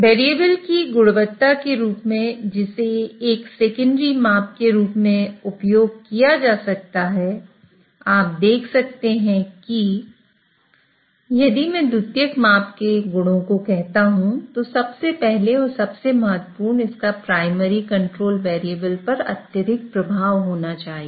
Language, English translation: Hindi, So, in terms of the qualities of variables which can be used as a secondary measurement, you can see that, so if I say qualities of secondary measurement, first and foremost, it should have a strong effect on the primary control variable